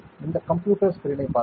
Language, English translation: Tamil, Let us look at the computer screen